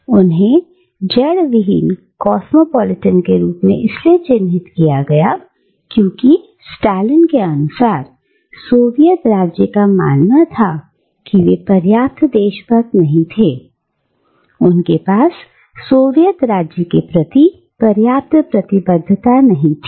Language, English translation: Hindi, And they were labelled as rootless cosmopolitans because the Soviet State under Stalin believed that they were not patriotic enough, they did not have enough commitment towards the Soviet State